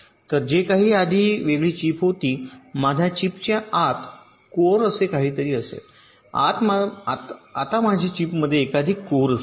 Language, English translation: Marathi, so whatever was the separate chip earlier will be something called a core inside my chip